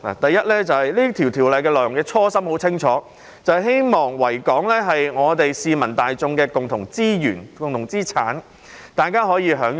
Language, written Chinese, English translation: Cantonese, 首先，訂立《條例》的初心很清楚，就是希望維多利亞港可作為市民大眾的共同資源和資產，大家可以享用。, First of all the original intent of enacting the Ordinance is quite clear . It is to make the Victoria Harbour a common resource and asset for the enjoyment of the general public